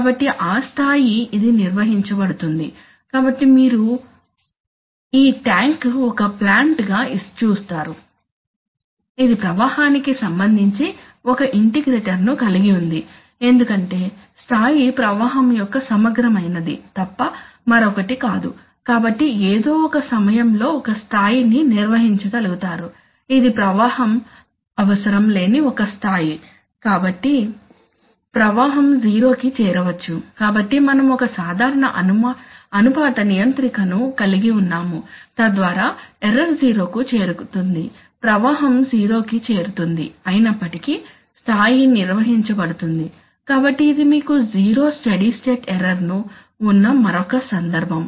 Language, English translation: Telugu, So at that level it will be maintained, so you see now so this tank is a plant which this tank is a plant, which, which has an integrator with respect to flow because the level is nothing but an integral of flow, so at some point to be able to maintain a level, this is a level it does not need any flow so the flow can go to zero, so still, so we are having a simple proportional controller so the error going to zero flow goes to zero but still level is maintained, so this is a another situation where you can say have 0 steady state error